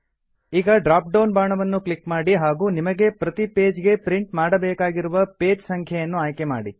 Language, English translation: Kannada, Click on the drop down arrow and choose the number of pages that you want to print per page